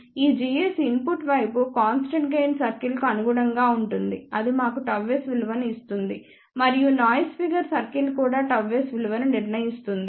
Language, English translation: Telugu, Because this g s corresponds to the constant gain circle for the input side that will give us the value of gamma s and noise figure circle also decides the value of gamma s